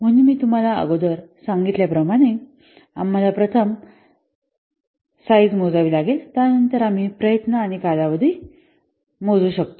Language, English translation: Marathi, So as I have already told you, first we have to compute size, then we can compute what effort and the duration